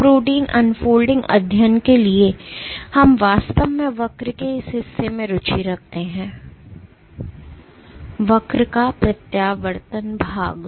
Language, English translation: Hindi, So, for protein unfolding studies we are actually interested in this portion of the curve; the retraction portion of the curve